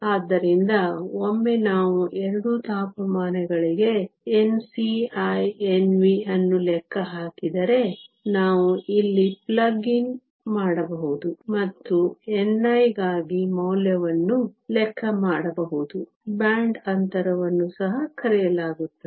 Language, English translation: Kannada, So, once we calculate N c and N v for both the temperatures, we can plug in here and calculate the value for n i the band gap is also known